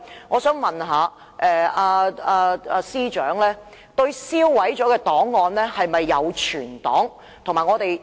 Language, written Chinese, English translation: Cantonese, 我想問司長，已經銷毀的檔案有否存檔？, I wish to ask the Chief Secretary whether the records destroyed have been filed